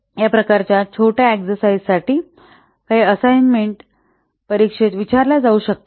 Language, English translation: Marathi, So, these types of small exercises may be asked in the assignments as well as in the examination